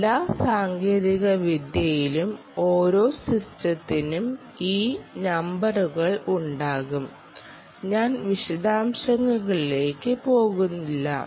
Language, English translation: Malayalam, each um technology and each system will have these numbers and i will not go into the detail